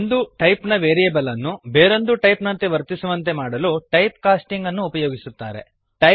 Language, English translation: Kannada, Typecasting is a used to make a variable of one type, act like another type